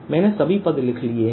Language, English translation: Hindi, so i have written all terms